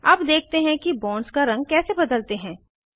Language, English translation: Hindi, Lets see how to change the color of bonds